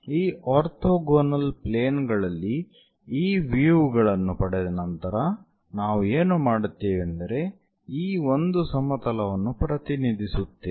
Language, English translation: Kannada, So, once these views are obtained on these orthogonal planes, what we do is we represents this one plane ; the red plane let us consider